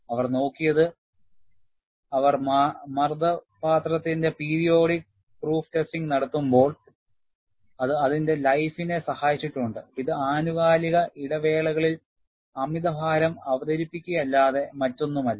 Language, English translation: Malayalam, What they have looked at is, when they do periodic proof testing of the pressure vessel, it has helped its life, which is nothing, but introducing overload at periodic intervals